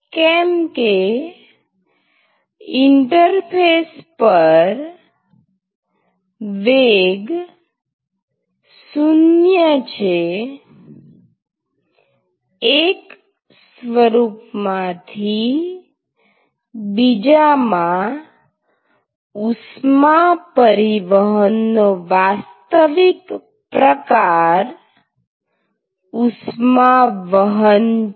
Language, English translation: Gujarati, So, because the velocity is 0 at the interface the actual mode of heat transport from one phase to another is actually conduction